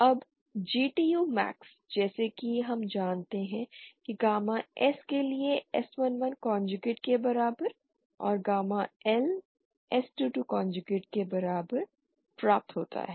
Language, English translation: Hindi, Now GTU max as we know is obtained for gamma S equal to S 1 1 conjugate and gamma L equal to S 2 2 conjugate